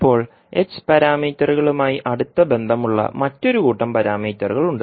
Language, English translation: Malayalam, Now, there is another set of parameters which are closely related to h parameters